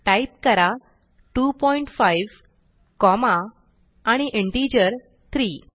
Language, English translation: Marathi, So type 2.5 comma and an integer 3